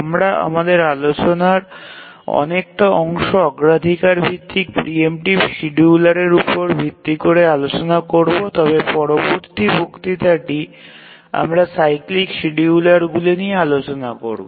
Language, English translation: Bengali, We will discuss our good portion of our discussion is on the priority based preemptive schedulers but in the next lecture we'll discuss about the cyclic schedulers